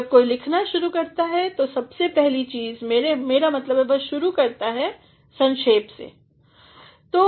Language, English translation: Hindi, Whenever somebody starts to write the very first thing I mean he begins with is an abstract